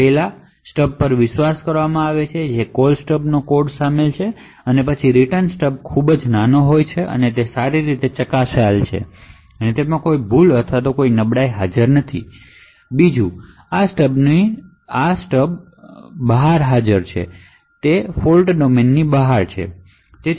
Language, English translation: Gujarati, so now there are certain properties for these stubs first the stubs are trusted the code comprising of the Call Stub and the Return Stub are extremely small and they are well tested and there are no bugs or anyone vulnerabilities present in them, second these stubs are present outside the fault domain